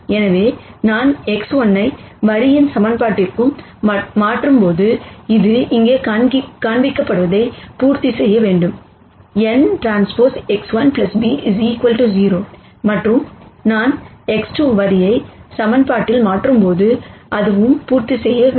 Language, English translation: Tamil, So, when I substitute X 1 into the equation for the line, it should satisfy it which is what is shown here n transpose X 1 plus b equals 0 and when I substitute X 2 into the line equation that should also satisfy